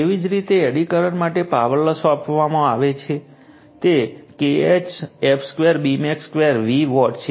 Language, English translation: Gujarati, Similarly, for eddy current power loss is given by it is K e f square B max square into V watt